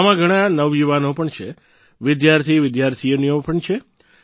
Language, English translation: Gujarati, In that, there are many young people; students as well